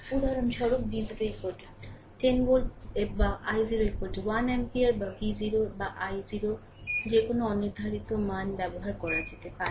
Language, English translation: Bengali, For example, we may use V 0 is equal to 10 volt or i 0 is equal to 1 ampere or any unspecified values of V 0 or i 0 right